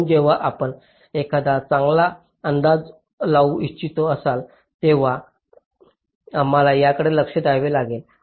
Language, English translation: Marathi, so when you want to make a good estimate, we will have to look into this